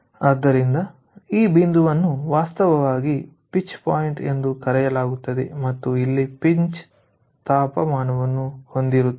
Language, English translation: Kannada, so this point actually is called the pinch point and here we will have the pinch temperature